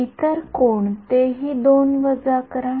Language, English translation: Marathi, Subtract the 2 any other